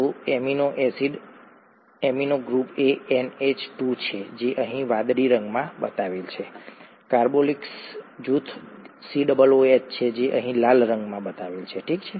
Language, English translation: Gujarati, So an amino acid, the amino group is an NH2 shown in blue here, the carboxyl group is a COOH which is shown in red here, okay